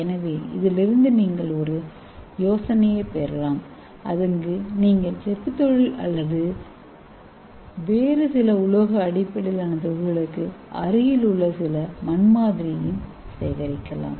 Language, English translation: Tamil, So from this you can get a idea, so you can also collect some soil sample near the copper industry or some other metal based industry